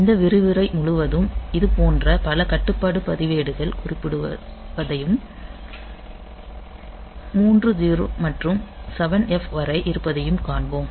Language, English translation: Tamil, So, throughout our lecture we will find that many such control registers will be mentioned and this 3 0 to 7 F